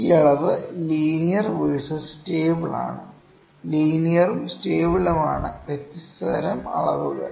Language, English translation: Malayalam, This measurement is linear versus stable or linear not is not versus linear and stable are to different kinds of measurements